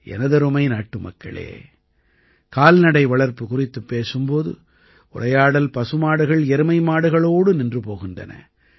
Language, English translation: Tamil, My dear countrymen, when we talk about animal husbandry, we often stop at cows and buffaloes only